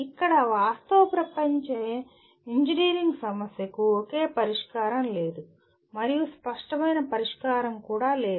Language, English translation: Telugu, Here a real world engineering problem does not have a single solution and also not an obvious solution